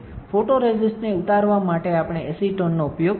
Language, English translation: Gujarati, So, for stripping of the photoresist, we use acetone